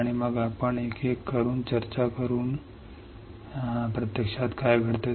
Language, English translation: Marathi, And then we will discuss one by one what is actually happening all right